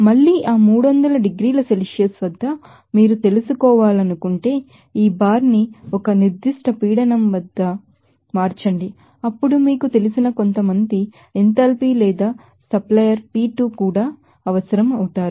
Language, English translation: Telugu, Again at that 300 degrees Celsius if you want to you know, change this up bar up to a certain pressure then you will have you also required some you know enthalpy or supplier P2 there